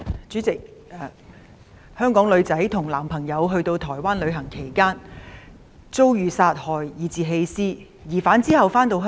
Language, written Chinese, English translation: Cantonese, 主席，一名香港女生與男朋友到台灣旅行期間遭殺害及被棄屍，疑犯其後回到香港。, President a lady from Hong Kong was killed and abandoned when she was travelling with her boyfriend in Taiwan and the suspect returned to Hong Kong afterwards